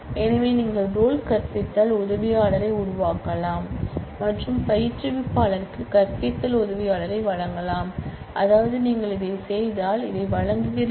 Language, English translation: Tamil, So, you can create role teaching assistant and grant teaching assistant to instructor, which means that if you do that you are granting this